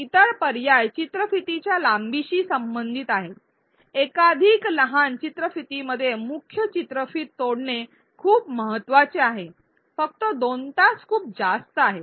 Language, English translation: Marathi, The other options were related to the length of the video, it is very important to break the video into multiple smaller videos 2 hours is just too long